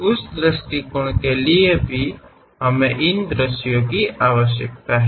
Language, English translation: Hindi, For that point of view also we require these views